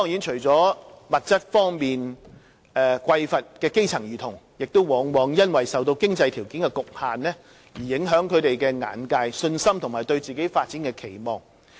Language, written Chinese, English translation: Cantonese, 除了物質方面的匱乏，基層兒童也往往因為受到經濟條件的局限而影響了他們的眼界、信心和對自己發展的期望。, Apart from being subject to material deprivation grass - roots children are often affected in their outlook confidence and self - expectations for development due to financial constraints